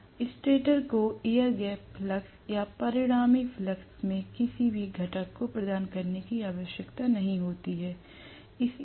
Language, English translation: Hindi, Then stator need not provide any component in the air gap flux or in the resultant flux